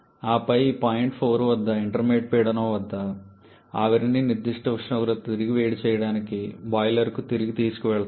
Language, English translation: Telugu, And then at this point for this at this intermediate pressure the steam is taken back to the boiler to reheat back to certain temperature